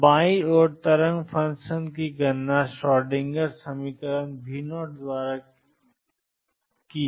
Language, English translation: Hindi, So, on the left hand side the wave function is calculated by the Schrodinger equation V 0